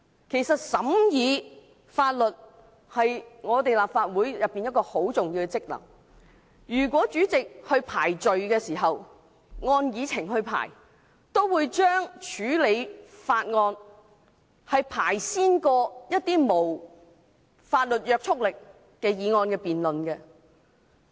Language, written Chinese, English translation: Cantonese, 其實，審議法案是立法會的重要職能，如果主席依照會議議程來處理事項，也會先行處理法案，然後才處理一些無法律約束力的議案。, Actually scrutinizing bills is an important function and duty of Legislative Council . If the President conducts business according to the Agenda he will also first deal with bills before proceeding to motions with no legislative effect